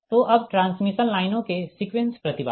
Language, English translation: Hindi, so now sequence impedance of transmission lines